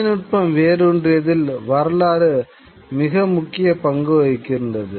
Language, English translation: Tamil, And history plays a very important role in the way it actually technology takes root